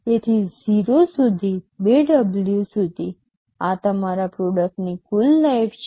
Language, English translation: Gujarati, So, from 0 up to 2W, this is your total product life